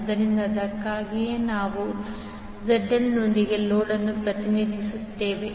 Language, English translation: Kannada, So, that is why here we are representing load with ZL